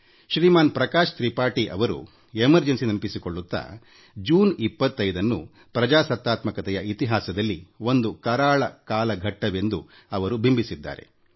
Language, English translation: Kannada, Shri Prakash Tripathi reminiscing about the Emergency, has written, presenting 25thof June as a Dark period in the history of Democracy